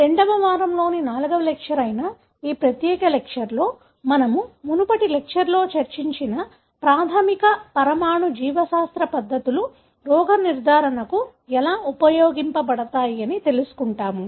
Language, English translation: Telugu, We will be discussing in this particular lecture which happens to be the fourth lecture for week II, how the basic molecular biology techniques that we discussed in the previous lecture can be used for diagnosis